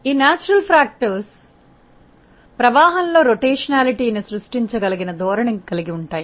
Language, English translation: Telugu, And these natural factors have a tendency to create a rotationality in the flow